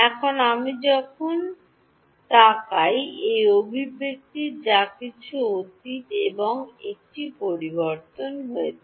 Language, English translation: Bengali, Now, when I look at this expression that has something changed one past and one